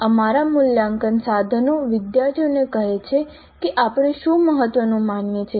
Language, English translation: Gujarati, Our assessment tools tell the students what we consider to be important